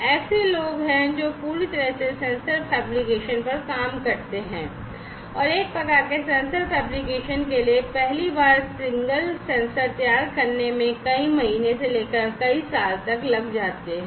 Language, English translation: Hindi, There are people who basically work solely on sensor fabrication and for one type of sensor fabrication it may take you know several months to several years for fabricating a single sensor for the first time